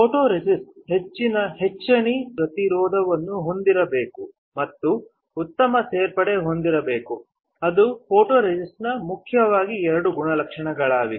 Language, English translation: Kannada, The photoresist should have high etch resistance and good addition which are the main two properties of a photoresist